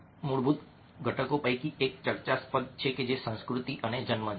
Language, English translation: Gujarati, one of the fundamental components a debatable is cultural or in bond